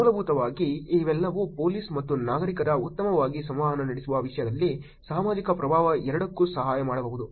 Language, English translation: Kannada, Essentially all of this can help both societal impact in terms of police and citizens interacting better